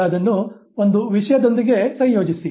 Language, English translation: Kannada, Now associate it with one thing